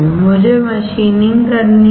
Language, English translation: Hindi, I had to do machining